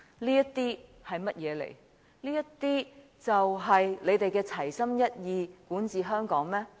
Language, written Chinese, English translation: Cantonese, 這些就是他們所說的齊心一意管治香港？, Are they results of his act of staying focused as they call it in governing Hong Kong?